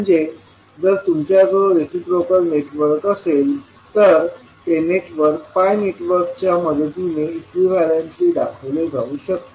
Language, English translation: Marathi, So, if you have a reciprocal network, that network can be represented equivalently with the help of pi equivalent circuit